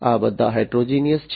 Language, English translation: Gujarati, So, these are all heterogeneous